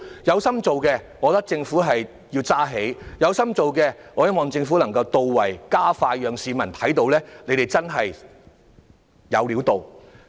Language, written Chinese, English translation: Cantonese, 如果政府有心辦事，我認為便要有所承擔、做得到位、加快速度，讓市民看到真的"有料到"。, If the Government is serious about its work I think it should be committed to doing things right and fast so that the public really find something to write home about